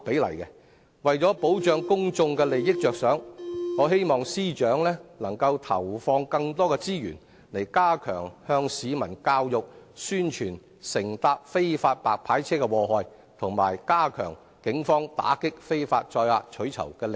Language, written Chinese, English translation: Cantonese, 為保障公眾利益，我希望司長投放更多資源，加強向市民教育和宣傳乘搭非法白牌車的禍害，以及加強警方打擊非法載客取酬的力度。, To protect public interests I hope that the Financial Secretary will deploy additional resources to step up public education and promotion on the scourge of taking unlicenced white licence cars and strengthen police crackdown on illegal carriage of passengers for reward